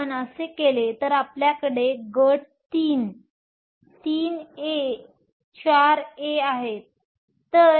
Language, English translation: Marathi, If we do that to, group II, we have 3 A, 4 A